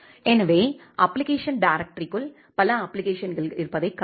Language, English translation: Tamil, So, inside the app directory you can see that there are multiple applications which are there